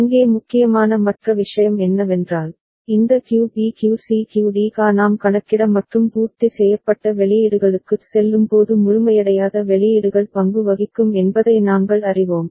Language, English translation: Tamil, And other thing that is important here we know that this QB QC QD QA the uncomplemented outputs will take role when we are going for up counting and complemented outputs, they will be participating when we are going for down counting ok